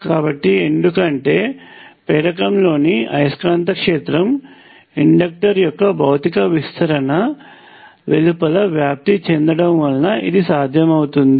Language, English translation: Telugu, So, this is possible because the magnetic field in an inductor can spread outside the physical extend of the inductor